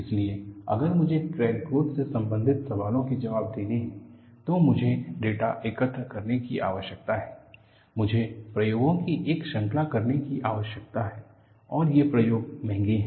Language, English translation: Hindi, So, if I have to answer questions related to crack growth, I need to collect data; I need to do a series of experiments and experiments is costly